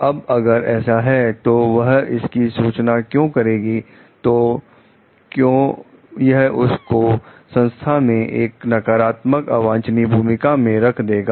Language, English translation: Hindi, Then if that is so, then why she is going to report about it, so because it may put her in a negative unwelcome role in the organization